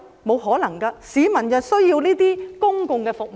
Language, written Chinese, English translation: Cantonese, 不可能，市民需要這些公共服務。, It is impossible because people need these public services